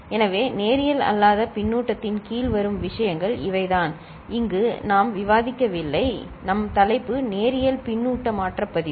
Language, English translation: Tamil, So, these are the things that come under non linear feedback which we are not discussing here; our topic is Linear Feedback Shift Register